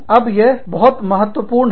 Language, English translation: Hindi, Now, this is very, very, important